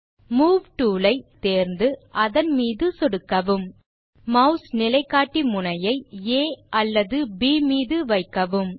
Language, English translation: Tamil, Select the Move tool from the tool bar, click on the Move tool Place, the mouse pointer on A or on B